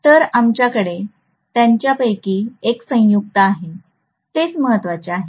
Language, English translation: Marathi, So we have one of them conjugate; that is what is important